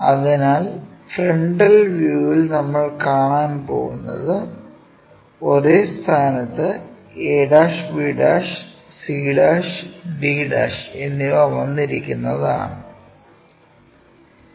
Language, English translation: Malayalam, So, in the frontal view what we are going to see, a' b' at same position, similarly c' d' at the same location